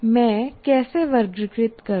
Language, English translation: Hindi, Now how do I classify